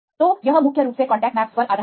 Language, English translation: Hindi, So it is mainly based on the contact maps